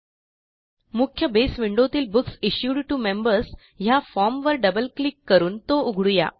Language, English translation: Marathi, In the main Base window, let us open the Books Issued to Members form by double clicking on it